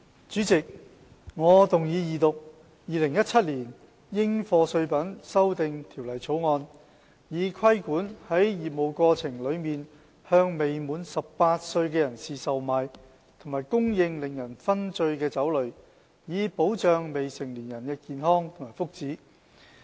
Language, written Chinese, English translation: Cantonese, 主席，我動議二讀《2017年應課稅品條例草案》，以規管在業務過程中向未滿18歲的人士售賣和供應令人醺醉的酒類，以保障未成年人的健康和福祉。, President I move the Second Reading of the Dutiable Commodities Amendment Bill 2017 the Bill to prohibit the sale and supply of intoxicating liquor to persons under the age of 18 years for protecting the health and well - being of minors